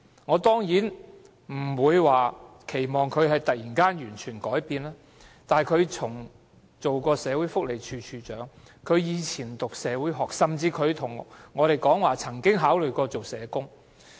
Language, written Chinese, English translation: Cantonese, 我當然不期望她會突然完全地改變，但她畢竟曾任社會福利署署長，從前又修讀社會學，而她也向我們表示她曾考慮當社工。, Of course I would not expect her to change completely overnight . Yet she had after all been the Director of Social Welfare in the past and had studied sociology . She once told us she used to think of becoming a social worker